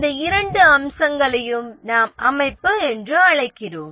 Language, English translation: Tamil, These two aspects we call as the organization structure